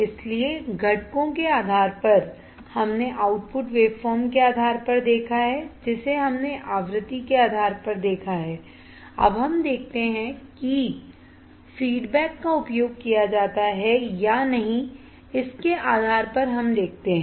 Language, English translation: Hindi, So, based on the component we have seen based on the output waveform we have seen based on the frequency we have seen now let us see based on whether feedback is used or not